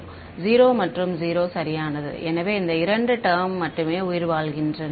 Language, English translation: Tamil, 0 and 0 right so only these two term survive